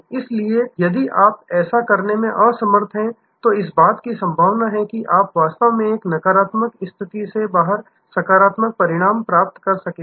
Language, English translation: Hindi, So, if you do unable to do that, then there is a possibility that you will actually achieve a positive result out of a negative situation